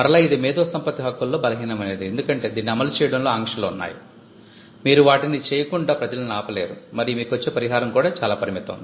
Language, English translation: Telugu, And again this is the weakest of intellectual property rights, because there are restrictions on enforcing it, you cannot stop people from doing things and your damages are also limited we will get to that